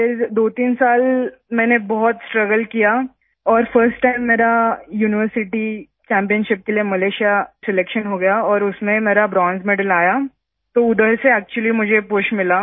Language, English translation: Hindi, Then I struggled a lot for 23 years and for the first time I got selected in Malaysia for the University Championship and I got Bronze Medal in that, so I actually got a push from there